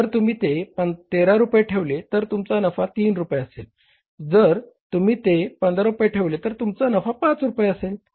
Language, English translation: Marathi, If you position it for 13 rupees so your profit is going to be 3 rupees and if you are going to position is for 15 rupees your profit is going to be 5 rupees